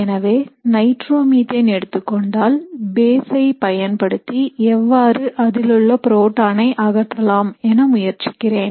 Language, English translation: Tamil, So if you have say nitromethane and I am trying to look at how if I take a base I de protonate it